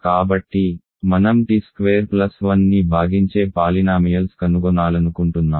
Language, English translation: Telugu, So, we want to find polynomials f t that divide t squared plus 1 ok